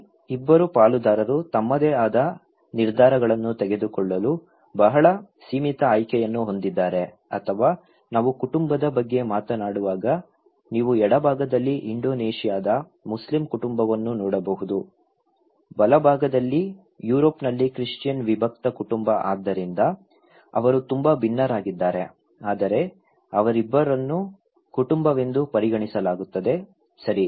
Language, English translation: Kannada, Here, the two partners have very limited choice to make decisions by their own or when we are talking about family, you can look in the left hand side an Indonesian Muslim family, in the right hand side, a Christian nuclear family in Europe so, they are very different but they are both considered as family, okay